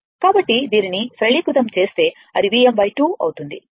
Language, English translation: Telugu, So, if you simplify this, it will be V m by 2 right